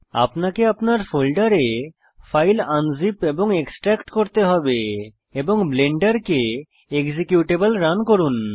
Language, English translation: Bengali, You would need to unzip and extract the files to a folder of your choice and run the Blender executable